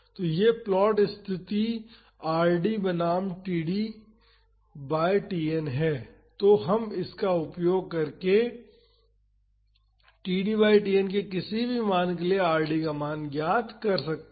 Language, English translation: Hindi, So, this plot case Rd versus td by Tn; so, we can find the value of Rd for any value of td by Tn using this